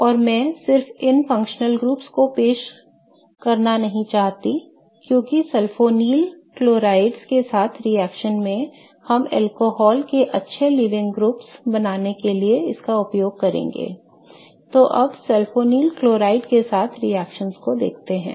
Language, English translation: Hindi, And I just wanted to introduce these functional groups because we are going to be using them in the reaction with sulfonyl chlorides to form good living groups from alcohol